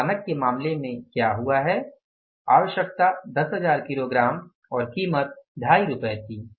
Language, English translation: Hindi, So what has happened in case of the standard the requirement was 10,000 kages and the price was 2